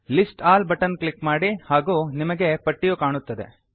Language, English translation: Kannada, Click on List All button and you will see a list